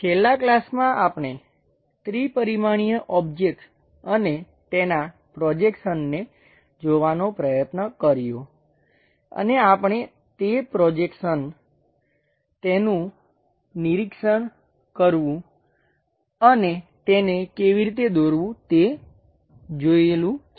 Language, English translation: Gujarati, In the last classes, we try to look at three dimensional objects and their projections and we are going to continue that projections observing how to draw the things